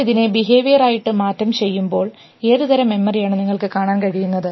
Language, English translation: Malayalam, Now, if you translate this into behavior, what type of memories do you see